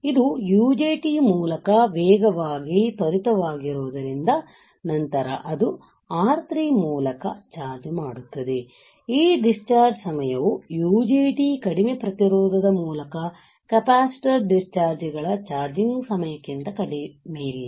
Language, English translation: Kannada, This one also because rapidly such is more quickly through UJT, then it does charging through resistor R3, right, this discharging time is not less than the charging time of capacitor discharges through the low resistance of UJT ok